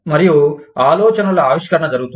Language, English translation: Telugu, And, idea generation takes place